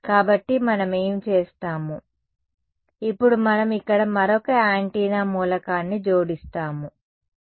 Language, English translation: Telugu, So, what we will do is now we will add another antenna element over here ok